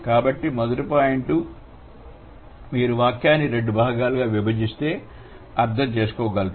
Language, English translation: Telugu, So first point, if cut the sentence into two parts, then only you can understand